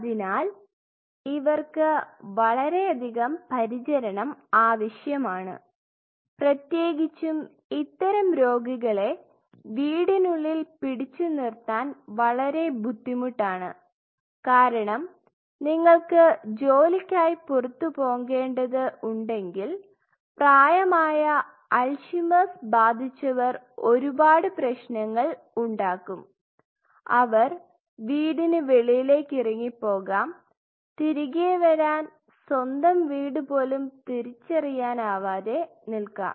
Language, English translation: Malayalam, So, you need a lot of care and it is especially for such patient, it is very difficult to hold them at home because you know if you are going out for work any other elderly person who is suffering from Alzheimer’s there are a lot of issues, because you know they may get lost they may go out of the house and they may get lost because they would not be able to identify their own house